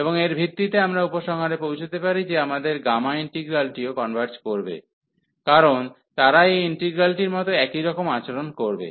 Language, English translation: Bengali, And based on this we can conclude that our gamma integral will also converge, because they will behave the same this integral